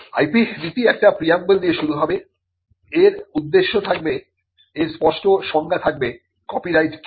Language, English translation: Bengali, The IP policy will start with a preamble, it will have objectives, it will have definitions clarifying; what is a copyright